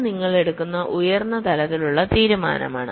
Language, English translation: Malayalam, so this is a high level decision you are taking